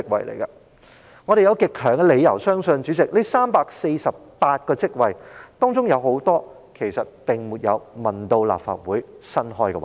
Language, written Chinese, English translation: Cantonese, 主席，我們有極強理由相信在這348個職位當中，有很多是未經諮詢立法會便增設的職位。, Chairman we have very strong reasons to believe that many of these 348 posts were created without consulting the Legislative Council